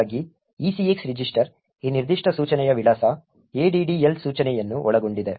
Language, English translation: Kannada, Thus, the ECX register contains the address of this particular instruction, the addl instruction